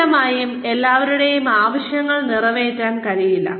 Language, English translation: Malayalam, Obviously, everybody's needs, cannot be catered to